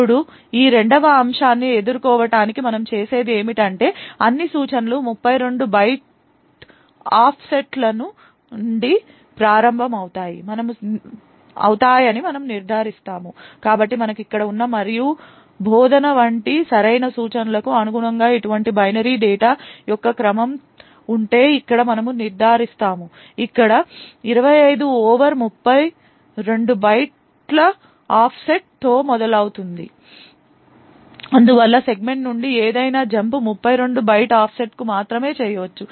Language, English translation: Telugu, Now in order to deal with this second aspect what we do is that we ensure that all instructions start at 32 byte offsets, so therefore if we have a sequence of such binary data corresponding to a correct instruction like the AND instruction present here we would ensure that the 25 over here starts at an offset of 32 bytes thus any jump from the segment can be only done to a 32 byte offset